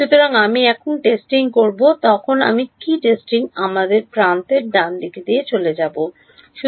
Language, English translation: Bengali, So, when I do the testing what will I do the testing we will go edge by edge right